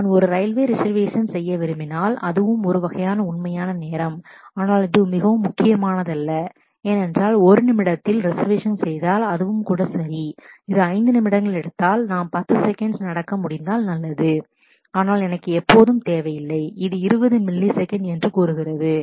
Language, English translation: Tamil, So, if I if I if I really want to do a railway reservation that also is a kind of real time, but that is not very critical because it is if I get the reservation done in one minute, it is also ok, if it takes 5 minutes, it is good if we can happen in 10 seconds, but I do not ever need it in say 20 millisecond